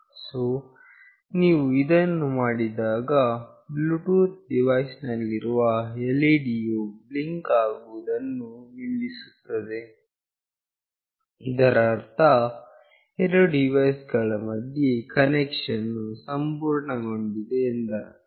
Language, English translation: Kannada, So, when you do that, the LED in the Bluetooth device will stop blinking, that means the connection between the two device has been established